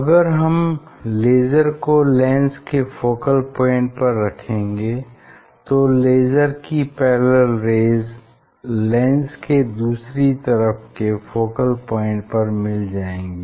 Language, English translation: Hindi, If you put focal point of this lens then this parallel rays will meet at the focal point, on the other side